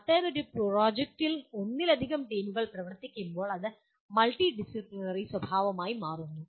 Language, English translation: Malayalam, When multiple teams are working on such a project it becomes multidisciplinary in nature